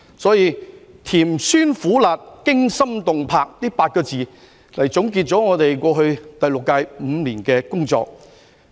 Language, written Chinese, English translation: Cantonese, 所以，以"甜酸苦辣、驚心動魄"這8個字，來總結我們過去第六屆5年的工作。, Therefore I sum up our work of the past five years of the sixth term in eight words sweetness sourness bitterness spiciness fear confidence drive and fortitude